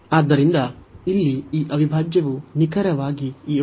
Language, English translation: Kannada, So, here this integral is is exactly this integral